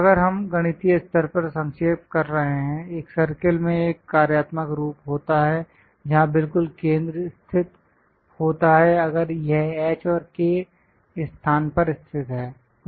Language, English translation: Hindi, If we are summarizing at mathematical level; a circle have a functional form based on where exactly center is located, if it is located at h and k location